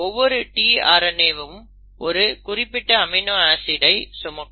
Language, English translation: Tamil, And each tRNA will then bring in the respective amino acid